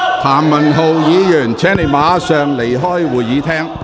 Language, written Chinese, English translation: Cantonese, 譚文豪議員，請你立即離開會議廳。, Mr Jeremy TAM please leave the Chamber immediately